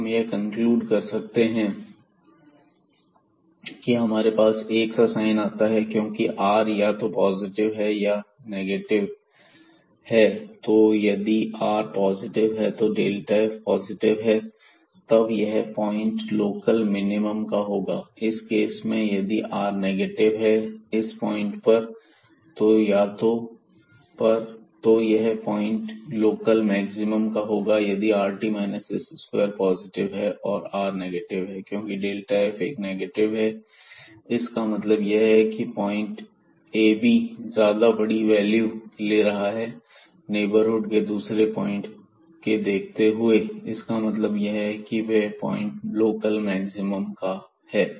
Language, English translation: Hindi, So, if r is positive delta f is positive and then we have this point is a local minimum in this case and when r is negative this point will be a point of local maximum when this rt minus s square is positive and r is negative because having this delta f a negative means that, this ab point is taking more larger values than the points in the neighborhood at; that means, this point is a point of local maximum